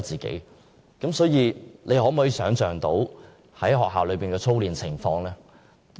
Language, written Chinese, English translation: Cantonese, 大家可否想象學校內的操練情況？, Can we imagine the drilling situation in schools?